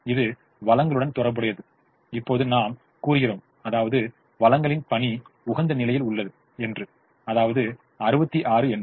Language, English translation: Tamil, it has to do with the resources and we now say that the work of the resources is sixty six at the optimum